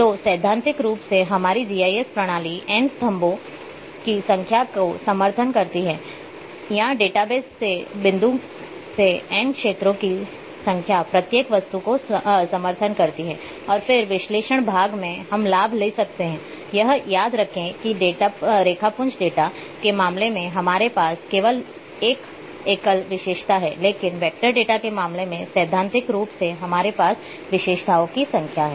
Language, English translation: Hindi, So, theoretically our GIS systems or support n number of columns or in from database point of view n number of fields against each such objects and then, in analysis part we can take advantage of remember this that in case of raster data, we can have only one single attribute, but in case of vector data theoretically we have n number of attributes